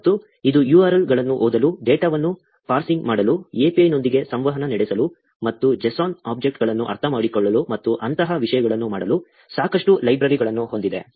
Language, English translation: Kannada, And, it also has a lot of libraries for reading URLs, parsing data, interact with API, and understanding the JSON objects, and things like that